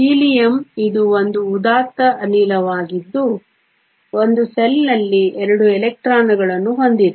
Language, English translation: Kannada, In the case of Helium its a noble gas it has 2 electrons in the 1 s shell